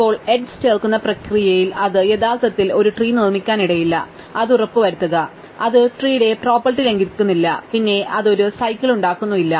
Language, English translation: Malayalam, Now, in the process of adding the edge, it may not actually construct a tree, all it make sure, it does not violate the tree property, namely, it does not produce a cycle